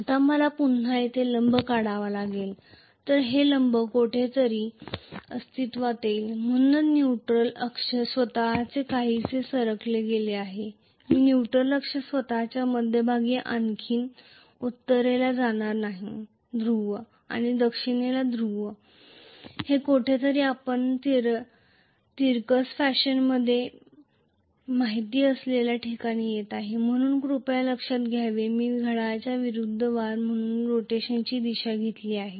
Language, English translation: Marathi, Now, I have to again drop a perpendicular here so this perpendicular will come out to be somewhere here, so the neutral axis itself is somewhat shifted, I am not going to have the neutral axis any more exactly in the middle of you know the north pole and the south pole, it is coming somewhere you know in a tilted fashion, so please remember I have taken the direction of rotation as anti clock wise